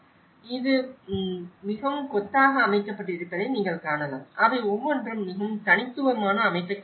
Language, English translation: Tamil, So, you can see this is a very clustered setup; each of them has a very unique layout